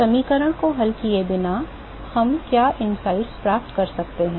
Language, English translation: Hindi, What are the insights that we can get without solving the equation